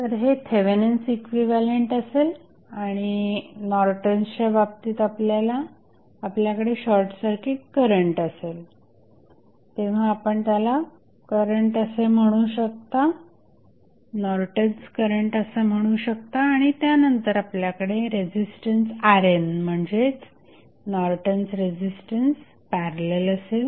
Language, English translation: Marathi, So, this would be Thevenin's equivalent, while in case of Norton's you will have current that is short circuit current or you can say it is Norton's current and then in parallel you will have resistance R n that is Norton's resistance, which will be, which would be found similar to what we did analysis for Rth